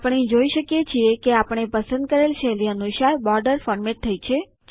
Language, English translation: Gujarati, We see that the borders get formatted according to our selected style